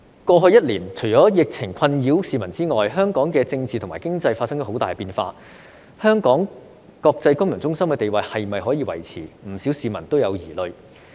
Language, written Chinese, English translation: Cantonese, 過去一年，除了疫情困擾市民之外，香港的政治和經濟亦發生了很大的變化，香港國際金融中心地位是否可以維持，不少市民都有疑慮。, In the past year not only members of the public have been upset by the epidemic but major political and economic changes have taken also place in Hong Kong . Many people cast doubt on whether Hong Kongs status as an international financial centre can be maintained